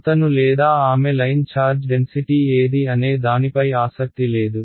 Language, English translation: Telugu, He or she is not interested in what is the line charge density right